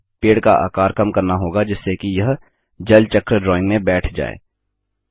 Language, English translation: Hindi, Now, we should reduce the size of the tree so that it fits in the Water Cycle drawing